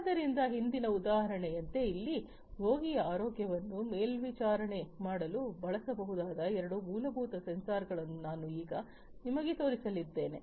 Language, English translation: Kannada, So, over here like the previous example, I am now going to show you two very fundamental sensors that can be used for monitoring the health of the patient